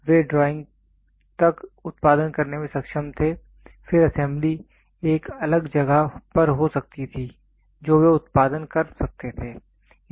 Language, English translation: Hindi, So, they were able to produce up to the drawing and then assembly could happen at a different place they could produce